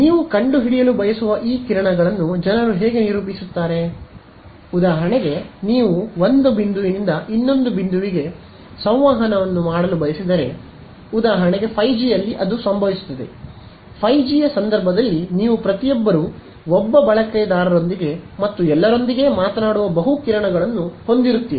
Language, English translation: Kannada, How do people characterize these beams you want to find out; so, for example, if you wanted to do point to point communication which for example, in 5G will happen; in the case of 5G you will have multiple beams each one talking to one user and all